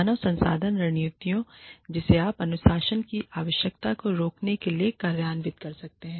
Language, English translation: Hindi, The HR strategies, that you can implement, in order to prevent, the need for discipline We talked about, what discipline is